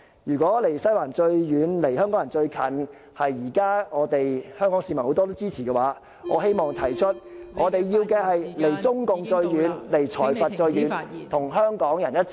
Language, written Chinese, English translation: Cantonese, 如果"離西環最遠，離香港人最近"是現時很多香港市民所支持的論調，我希望提出......我們要的是"離中共最遠，離財閥最遠"，與香港人一起......, If being farthest away from the Western District and closest to Hong Kong people is a proposition supported by many Hong Kong people these days then I wish to suggest that we need a Chief Executive who is farthest away from CPC and farthest away from plutocrats and who is on Hong Kong peoples side